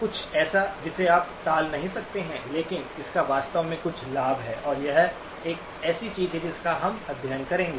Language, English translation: Hindi, Something that you cannot avoid but it actually has some benefit and that is something that we will study as well